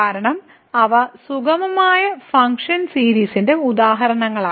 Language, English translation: Malayalam, Because they are examples of smooth function series